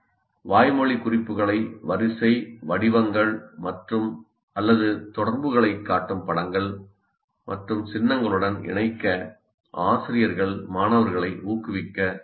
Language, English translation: Tamil, Teachers can encourage students to link verbal notes with images and symbols that show sequence, patterns, or relationship